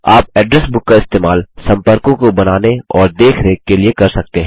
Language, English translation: Hindi, You can use the Address Book to create and maintain contacts